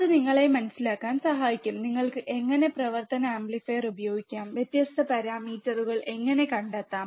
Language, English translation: Malayalam, That will help you understand how you can use the operational amplifier and how you can find different parameters